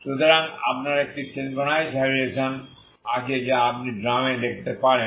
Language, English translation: Bengali, So you have a synchronized vibrations you can look for in the drum